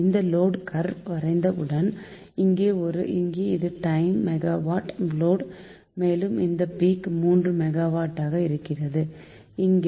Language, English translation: Tamil, so once this load curve is plotted, this is a time, and this is the ah, your, what you call megawatt load and peak is of course the your